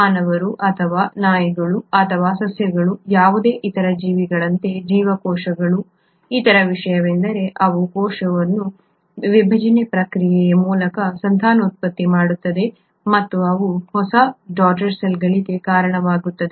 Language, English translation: Kannada, The other thing about cells like any other organism whether human beings or dogs or plants is that they reproduce through the process of cell division and they give rise to new daughter cells